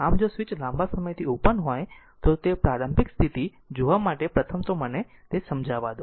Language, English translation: Gujarati, So, if switch was opened for a long time, first you have to see that initial condition right so let me clear it